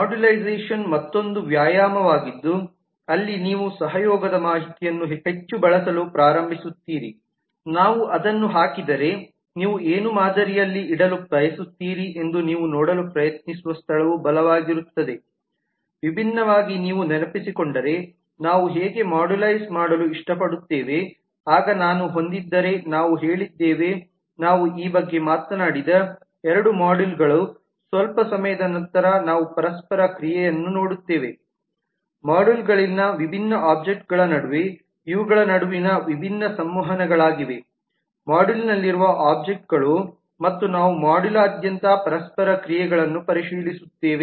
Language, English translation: Kannada, modularization is another exercise where you start using the collaboration information more strongly is where you try to see that what would you like to put in a model if we put it differently how do we like to modularize if you remember then we have said that if i have two modules that we have talked about this sometime back then we look into the interaction between different objects in the modules these are the different interactions between the objects in the module